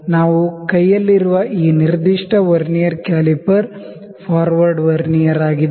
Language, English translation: Kannada, This specific Vernier caliper that we have in hand is the forward Vernier